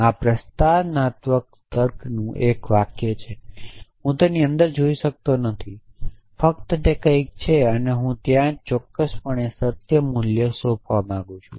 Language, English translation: Gujarati, This is a sentence in propositional logic I cannot look inside it I just it is something and there off course I would want to assign a truth value essentially